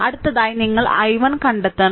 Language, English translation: Malayalam, So, this is your i 1 is solved